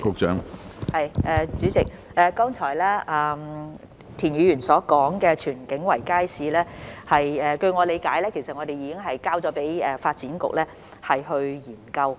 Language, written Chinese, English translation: Cantonese, 主席，剛才田議員提及的荃景圍街市，據我理解已經交給發展局研究。, President I understand that the Tsuen King Circuit Market mentioned by Mr TIEN just now has already been passed to DEVB for study